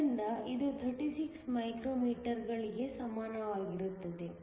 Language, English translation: Kannada, So, it is equal to 36 micrometers